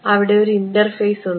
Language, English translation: Malayalam, So, there an interface